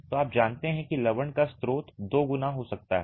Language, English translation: Hindi, So, the source of the salts can be twofold